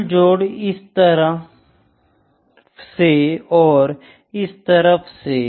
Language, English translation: Hindi, So, overall total is from this side or this side